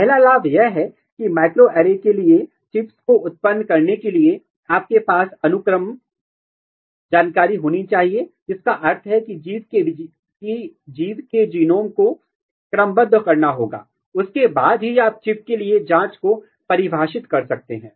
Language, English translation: Hindi, First advantage is that, for microarray to generate the chips you have to have the sequence information, which means that the genomes of the organism has to be sequence, then and only then, you can define probes for the chip